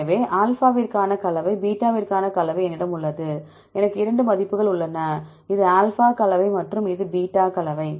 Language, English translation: Tamil, So, I have the composition for alpha and I have the composition for beta, I have 2 values, this is alpha composition and this is beta composition